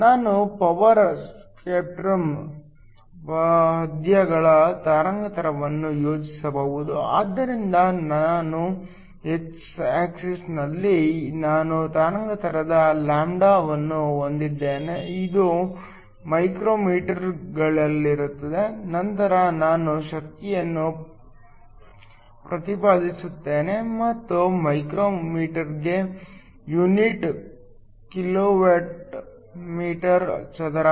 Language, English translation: Kannada, We can plot a power spectrum verses wavelength, so I have wavelength lambda on my x axis this is in micrometers, then I will plot the power and the unit is kilowatt meter square per micrometer